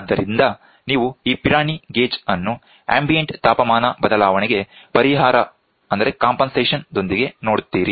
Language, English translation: Kannada, So, you see this Pirani gauge with compensation for ambient temperature change